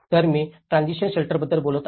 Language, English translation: Marathi, So, I am talking about the transitional shelter